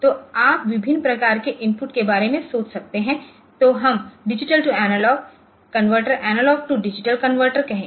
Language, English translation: Hindi, So, you can have you can think about different types of input then, let us say digital to analog converters analog to digital converters